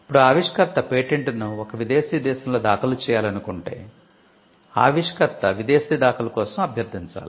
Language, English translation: Telugu, Now, if the inventor wants to file the patent in a foreign country then, the inventor has to request for a foreign filing